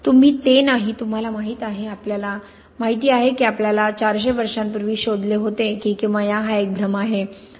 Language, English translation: Marathi, You, it is not, you know, we knew, we discovered 400 years ago that alchemy was an illusion